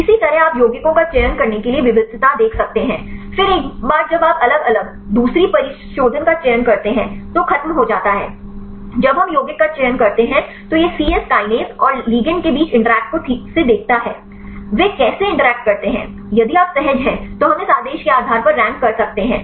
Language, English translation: Hindi, Likewise, you can see the diversity to select the compounds; then once you select the different second refinement is over; when we select the compound then it is exactly see the interactions between C Yes kinase and the ligand; how they interact then if you are comfortable, then we can rank based on this order